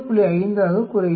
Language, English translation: Tamil, 5 it comes to 3